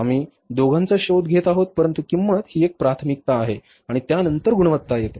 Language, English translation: Marathi, We are looking for both but price is the priority and the quality comes after that